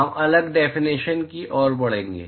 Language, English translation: Hindi, We are going to move to the next definition